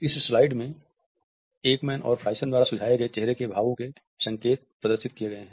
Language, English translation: Hindi, In this list we find that there are cues for facial expressions as suggested by Ekman and Friesen